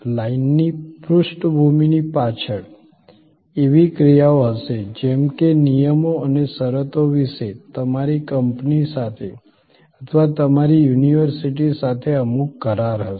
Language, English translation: Gujarati, Behind the line background, there will be actions like there will be some agreement maybe with your company or with your university about the terms and conditions